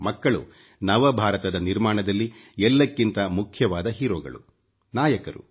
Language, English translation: Kannada, Children are the emerging heroes in the creation of new India